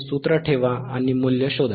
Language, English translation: Marathi, Put the formula and find the values